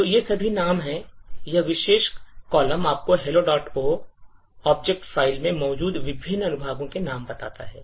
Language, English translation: Hindi, So, these are the names, this particular column tells you the names of the various sections present in the hello dot O object file